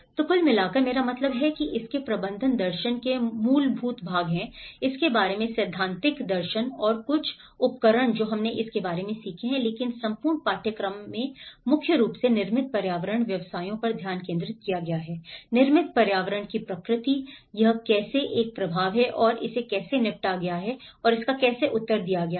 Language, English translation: Hindi, So overall, I mean thatís the fundamental parts of the management philosophy of it, the theoretical philosophy of it, and some of the tools we have learnt about it but whole course is mainly focused on the built environment professions, how the nature of built environment, how it has an impact and how it has been dealt and how it has been responded